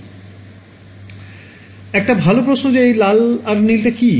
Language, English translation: Bengali, A good question what is the red and blue